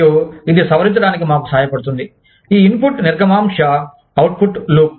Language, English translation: Telugu, And, that helps us revise, this input, throughput, output, loop